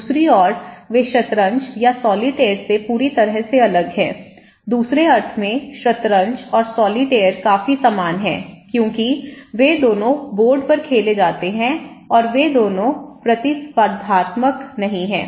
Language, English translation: Hindi, On the other hand, they are completely different from chess or solitaire, in other sense that chess and solitaire are quite similar because they both are played on board and they both are not competitive as such okay